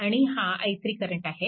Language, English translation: Marathi, So, this will be your i 3